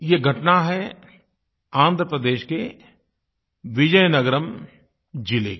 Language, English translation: Hindi, This happened in the Vizianagaram District of Andhra Pradesh